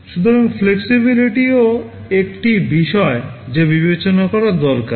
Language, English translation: Bengali, So, flexibility is also an issue that needs to be considered